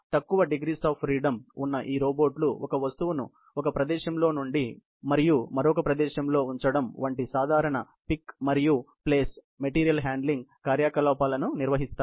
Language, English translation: Telugu, These robots with fewer degrees of freedom carry out simple pick and place material handling operations, such as picking up of an object at one location and placing it to another location